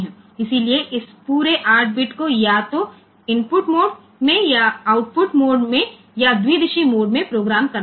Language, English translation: Hindi, So, this entire 8 bit has to be programmed either in input mode, or in output mode or in bidirectional mode